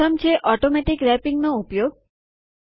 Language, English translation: Gujarati, The first one is by using Automatic Wrapping